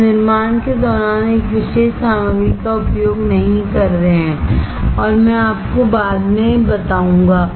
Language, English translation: Hindi, We are not using a particular material during fabrication and I will tell you later on